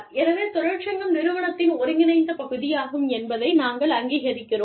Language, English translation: Tamil, So, we recognize, that the union is an, integral part of the organization